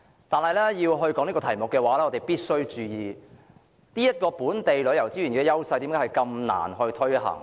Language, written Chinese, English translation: Cantonese, 但是，要討論這項議題，我們必須注意為何本地旅遊資源的優勢如此難以發揮。, However when we discuss this issue we must note the reason why it is so hard to leverage the edges of local tourism resources